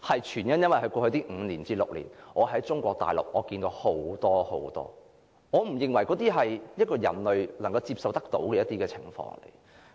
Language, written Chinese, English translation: Cantonese, 全因在過去5至6年，我在中國大陸看得太多我不認為人類所能接受的情況。, It was because over the five or six years before that I had seen many things in Mainland China which I think are unacceptable to human beings